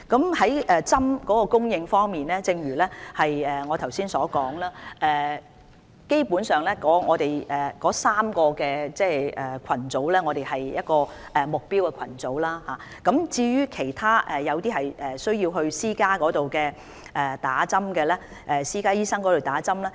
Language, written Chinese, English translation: Cantonese, 在疫苗供應方面，正如我剛才所說，基本上，我們會為3個目標群組人士接種疫苗，至於其他類別的人士則需要前往私家診所接種。, Regarding the supply of vaccines as I said just now our vaccine supply will mainly be used to vaccinate the three target groups; other categories of people will have to receive vaccination at private clinics